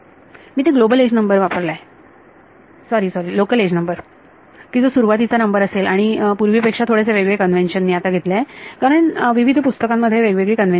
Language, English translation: Marathi, Here I have taken that the global edge number sorry the local edge number corresponds to the starting local edge number like and I am I have taken the slightly different convention from earlier, because various reference books I have different convention